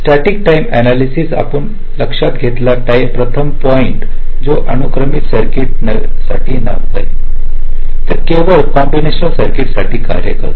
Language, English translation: Marathi, static timing analysis: ah, the first point, you notice that it works only for a combination circuit, not for a sequential circuit